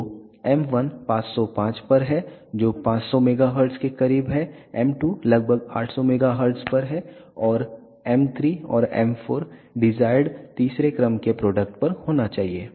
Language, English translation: Hindi, So, m 1 is at 505 which is close to 500 megahertz, m 2 is at 800 megahertz approximately and m 3 and m 4 should be at the desired third order products